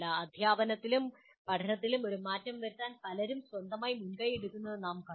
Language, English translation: Malayalam, We have seen so many people taking initiatives on their own to make a difference to the teaching and learning